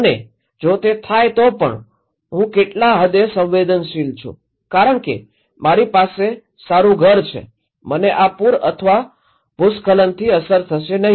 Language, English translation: Gujarati, And if it, even if it happened what extent I am vulnerable, because I have a good house maybe, I will not be affected by this flood or landslide